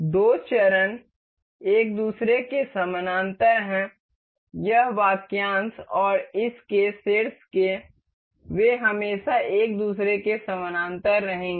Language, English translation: Hindi, The two phases are parallel to each other, this phase and the top one of this, they will always remain parallel to each other